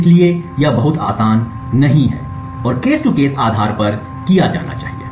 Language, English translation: Hindi, So, this is not very easy and has to be done on our case to case spaces